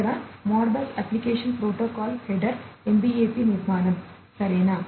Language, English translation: Telugu, This is the Modbus application protocol header, the MBAP structure, right